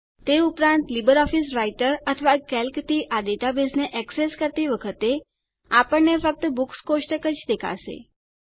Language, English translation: Gujarati, Also, when accessing this database from LibreOffice Writer or Calc, we will only see the Books table there